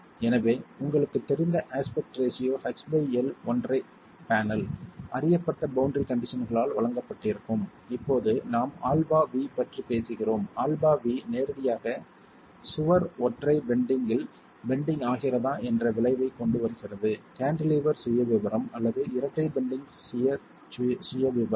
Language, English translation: Tamil, So, if you were given a single panel of a known aspect ratio H by L, known boundary conditions because now when we are talking of alpha V, alpha V directly brings in the effect of whether the wall is going to be bending in single bending, cantilever profile or double bending shear profile because the shear ratio, the shear span is going to change